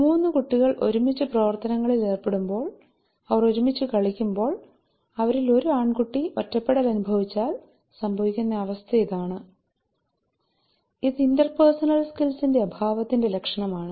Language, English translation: Malayalam, So this is this is the situation that shows that you know three children’s are working together they are playing together and one boy is isolated that that is the sign of deficient of interpersonal skills